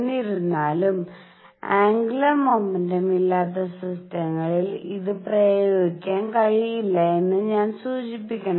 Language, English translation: Malayalam, However, I must point out that it cannot be applied to systems which do not have angular momentum